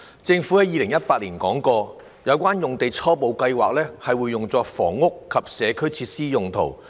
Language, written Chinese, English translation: Cantonese, 政府在2018年表示，有關用地初步計劃用作房屋及社區設施用途。, The Government indicated in 2018 that the site concerned was preliminarily planned to be used for housing and community facilities purposes